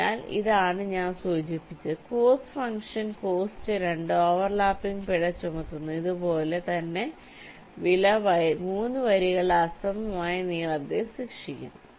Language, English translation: Malayalam, ok, so this is what i mentioned: the cost function cost two penalizes the overlapping and similarly, cost three penalizes the unequal lengths of the rows